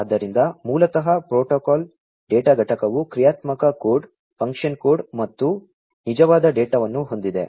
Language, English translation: Kannada, So, basically the protocol data unit has the functional code, function code and the actual data